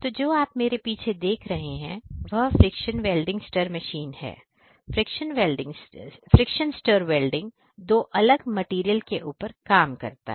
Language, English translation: Hindi, So, behind me what you see over here is a is an indigenous friction stir welding machine which can do friction stir welding on two different materials